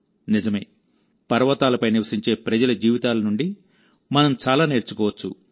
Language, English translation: Telugu, Indeed, we can learn a lot from the lives of the people living in the hills